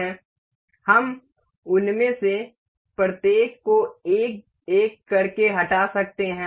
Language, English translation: Hindi, We can delete each of them one by one